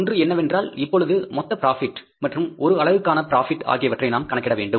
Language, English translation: Tamil, One thing is that we will have to calculate now the per unit profit also, total profit and the per unit profits